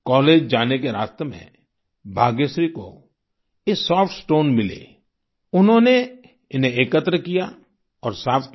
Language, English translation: Hindi, On her way to college, Bhagyashree found these Soft Stones, she collected and cleaned them